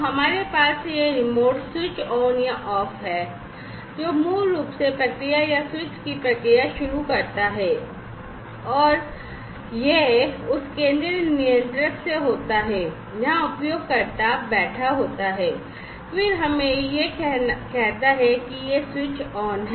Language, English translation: Hindi, So, we have this remote switch on or off, which basically starts the process or switches of the process and that is from that central controller where the user is sitting and then let us say, that it is switched on, right